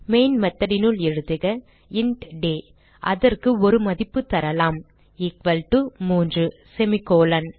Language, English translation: Tamil, So type inside the main method int day and we can give it a value equal to 3 semi colon